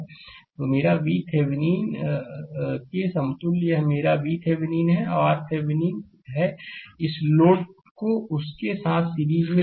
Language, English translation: Hindi, So, this is my v Thevenin that equivalent one this is my v Thevenin and R Thevenin with that you connect this load in series with that